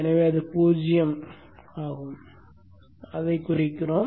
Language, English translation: Tamil, So it will be zero